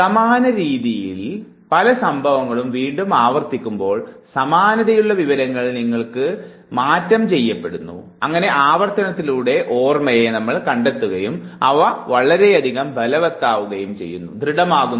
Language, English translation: Malayalam, Now when similar type of events are repeated, similar information is given to you time and again, with repetition the memory traces they become very strong